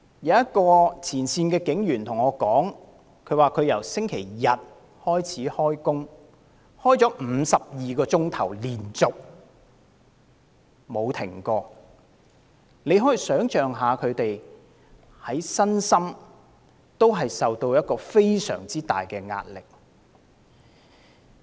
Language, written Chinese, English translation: Cantonese, 有一位前線警務人員告訴我，他由星期日開始連續工作了52小時，其間全無中斷，可以想象其身心承受多麼巨大的壓力。, A frontline police officer told me that he had been working continuously without break for 52 hours since Sunday and we can imagine the magnitude of the physical and mental pressure he has to cope with